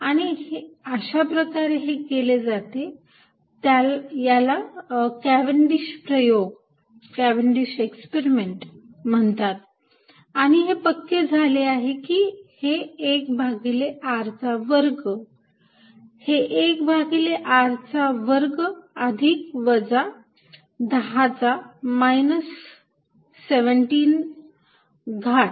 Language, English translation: Marathi, And that is how it is done and this is known as Cavendish experiment and this is confirmed that it is 1 over r square is the degree that 1 over r square plus minus 10 rise to minus 17